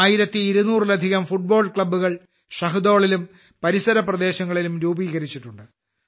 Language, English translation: Malayalam, More than 1200 football clubs have been formed in Shahdol and its surrounding areas